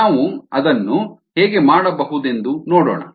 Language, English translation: Kannada, let us see how we can do that